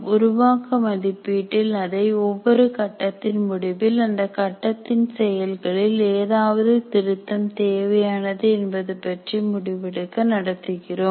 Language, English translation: Tamil, In formative evaluation, we undertake the formative evaluation at the end of every phase to decide whether any revisions are necessary to the activities of that phase